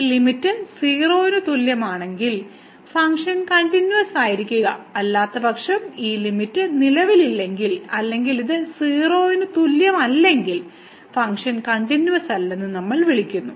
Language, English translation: Malayalam, If this limit is equal to 0, then the function will be continuous; otherwise, in case this limit does not exists or this is not equal to 0 then we call the function is not continuous